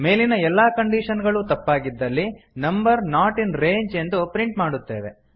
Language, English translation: Kannada, If all of the above conditions are false We print number not in range